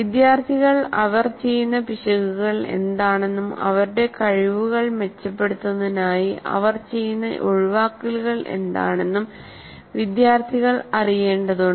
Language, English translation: Malayalam, The students, they need to know what are the errors they're committing and what are the omissions they're making to improve their constructs